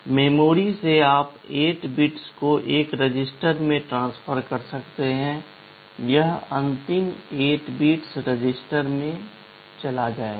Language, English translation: Hindi, From memory you can transfer 8 bits of data into a register, it will go into the last 8 bits, etc